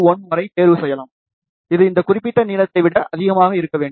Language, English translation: Tamil, 51, it should be greater than this particular length